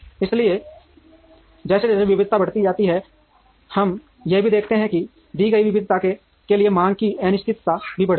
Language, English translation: Hindi, So, as increased as variety increases, we also observe that the demand uncertainty also increases for a given variety